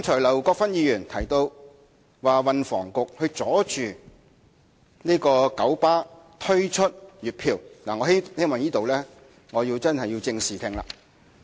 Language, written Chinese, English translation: Cantonese, 劉國勳議員剛才提到運輸及房屋局阻撓九巴推出月票計劃，我希望以正視聽。, Earlier on Mr LAU Kwok - fan dismissed the Transport and Housing Bureau as a hindrance to KMBs introduction of monthly pass schemes . I wish to correct his misconceptions